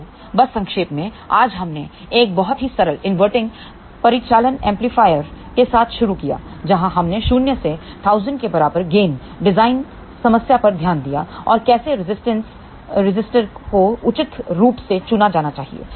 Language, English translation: Hindi, So, just to summarize, today, we started with a very simple inverting operational amplifier where we did look at the design problem of gain equal to minus 1000 and how resistors should be chosen appropriately